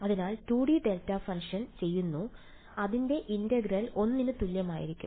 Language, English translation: Malayalam, So, 2 D delta functions so its integral is just going to be equal to 1